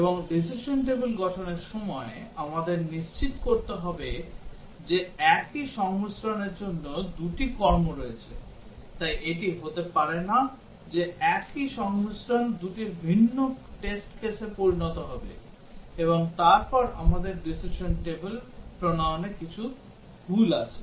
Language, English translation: Bengali, And also while forming the decision table, we have to ensure that there are two actions for the same combination, so it cannot be that the same combination will result in two different test cases, and then we have something wrong in our formulating the decision table